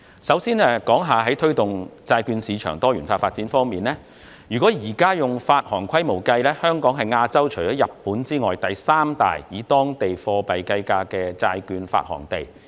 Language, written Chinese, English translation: Cantonese, 首先，關於推動債券市場的多元化發展，若按目前的發行規模計算，香港是亞洲第三大以當地貨幣計價的債券發行地。, First of all on promoting the diversified development of the bond market Hong Kongs bond market is currently the third largest in Asia ex‑Japan in terms of issuance in local currency